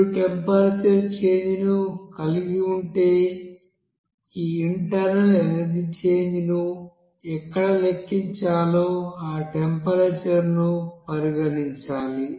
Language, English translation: Telugu, If you are having that temperature change, then you have to consider also at what temperature you are going to calculate this internal energy change that temperature to be considered there